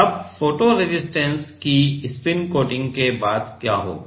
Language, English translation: Hindi, Now, after spin coating of photo resist what will happen